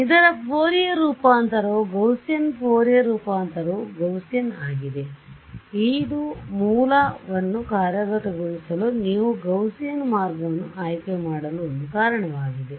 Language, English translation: Kannada, So, the Fourier transform of this is Fourier transform of a Gaussian is a Gaussian that is one of the reasons you choose a Gaussian way to implement a source right